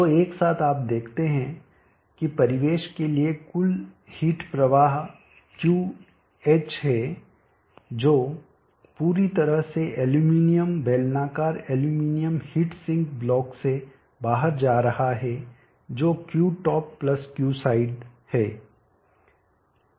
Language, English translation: Hindi, 13 watt is slowing out so together you see that the total heat flow to the ambient is Qh totally going out of the aluminum cylindrical aluminum heat sink block which is Q top + Q side